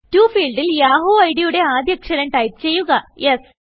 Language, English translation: Malayalam, In the To field, type the first letter of the yahoo id, that is S